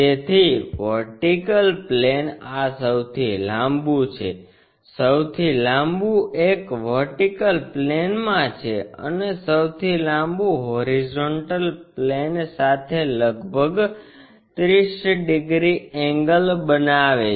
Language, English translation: Gujarati, So, the vertical plane is this the longest one, longest one is on the vertical plane in and the longest one is making some 30 degrees angle with the horizontal plane